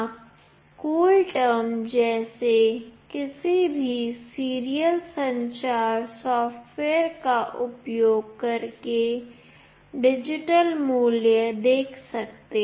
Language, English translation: Hindi, You can see the digital value using any of the serial communication software like CoolTerm